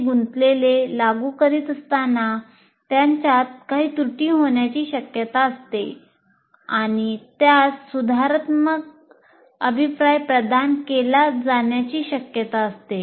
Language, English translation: Marathi, While they are doing it, there is a possibility they may be making some errors and the corrective feedback has to be provided